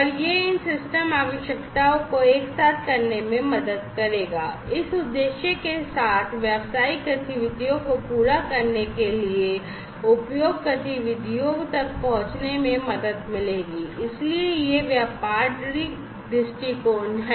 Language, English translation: Hindi, And this will also help these system requirements together with this objective the system requirement together, with this objective will help in arriving at the usage activities, for meeting the business requirements so, this is the business viewpoint